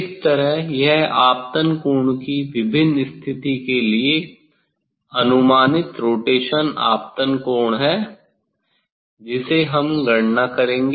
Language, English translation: Hindi, that way this is the approximate rotation incident angle for different position incident angle that we will calculate